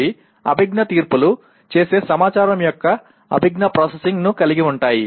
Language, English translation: Telugu, They involve cognitive processing of the information making cognitive judgments and so on